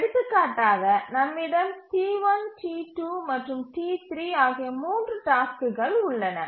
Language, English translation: Tamil, We have three tasks, T1, T2 and T3